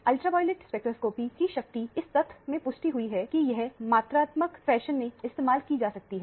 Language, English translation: Hindi, The power of ultraviolet spectroscopy lies in the fact that it can be used in a quantitative fashion